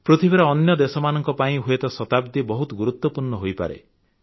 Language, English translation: Odia, For other countries of the world, a century may be of immense significance